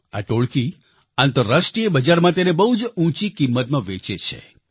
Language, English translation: Gujarati, These gangs sell them at a very high price in the international market